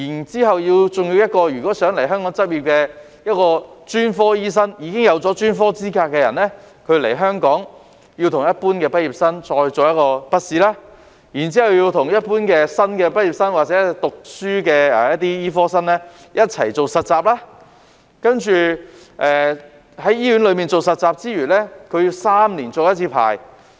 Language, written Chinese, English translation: Cantonese, 此外，如果專科醫生想到香港執業，而他已經有專科資格，但在香港卻須與一般畢業生一樣應考筆試，然後又須與一般新的畢業生或醫科生一同做實習，在醫院實習之餘，還須3年續牌一次。, Moreover if a specialist wants to practise in Hong Kong despite holding a specialist qualification he is still required to sit a written test with other graduates in Hong Kong and undergo internship training with other fresh graduates or medical students . Apart from working as an intern in hospital he is required to renew the license every three years